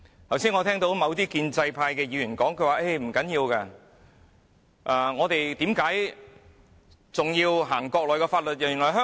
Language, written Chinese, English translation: Cantonese, 我剛才聽到某些建制派議員說，不要緊，為何要實施內地法律呢？, Just now I heard a certain Member of the pro - establishment camp say that it does not matter . Why is it necessary to implement Mainland laws?